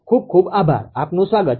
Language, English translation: Gujarati, Thank you very much, welcome